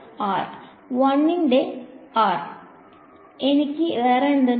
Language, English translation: Malayalam, 1 by R; what else do I have